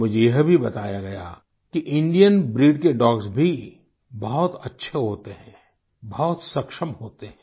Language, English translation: Hindi, Friends, I have also been told that Indian breed dogs are also very good and capable